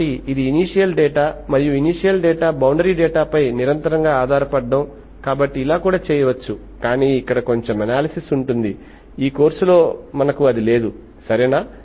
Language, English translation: Telugu, So this is the continuous dependence on initial data, initial and boundary data, so that also can be done but there is little analysis involves, so we have not that in this course, okay